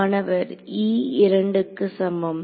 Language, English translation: Tamil, e equal to 2